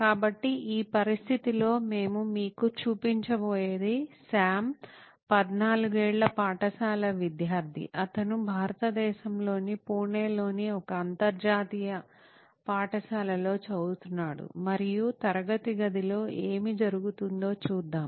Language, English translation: Telugu, So in this situation what we are going to show you as a scene where this is Sam, a 14 year old school going student, he studies in an international school in Pune, India and let us see what happens in a classroom